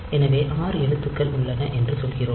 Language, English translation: Tamil, So, there are 16 characters